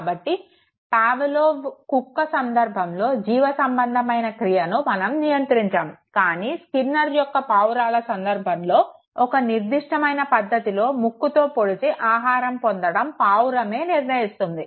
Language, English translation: Telugu, So, in the case of Pavlov's dog it was the biological reflex that got condition whereas in the case of Skinner's Pigeon it was the choice of the pigeon to pick at a particular point in order to get food